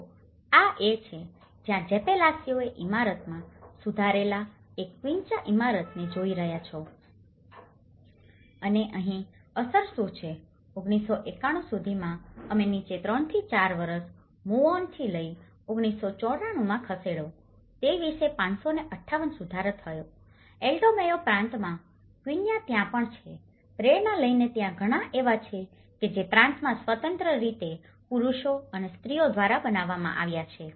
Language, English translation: Gujarati, See, this is one of the, this building what you are seeing is an improved quincha building in Jepelacio and here what is the impact, by from 1991 we move on to 3 to 4 years down the line in 1994, it has about 558 improved quincha houses within that Alto Mayo province and there are also, by taking the inspiration there are many have been built in that particular province independently by both men and women